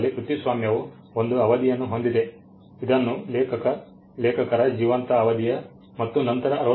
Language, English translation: Kannada, Copyright in India has a term which is computed as life of the author plus 60 years